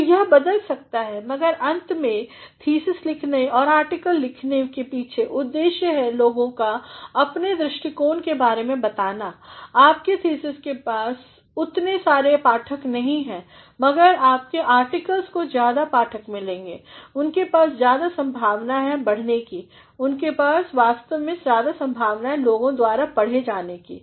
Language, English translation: Hindi, So, it may vary, but ultimately the objective behind writing a thesis and writing an article is also to make people aware of your views, your thesis has not got so many readers, but your articles will get more readers are they actually have more scope of expansion, they actually have more scope of being read by people